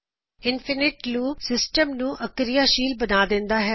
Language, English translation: Punjabi, Infinite loop can cause the system to become unresponsive